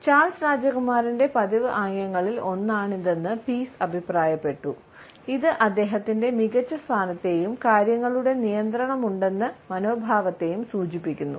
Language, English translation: Malayalam, Pease has commented that it is also one of the regular gestures of Prince Charles, which indicates his superior position as well as the attitude that he is in control of things